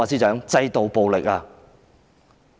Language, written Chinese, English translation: Cantonese, 是制度暴力。, It is institutional violence